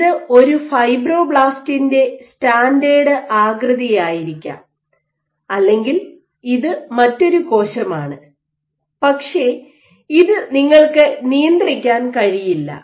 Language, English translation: Malayalam, So, this might be a standard shape of a fibroblast or this might be another cell so, but this you cannot control